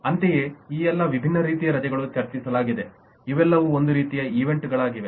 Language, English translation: Kannada, similarly, all of these different types of leave as discussed, the, all these are kind of events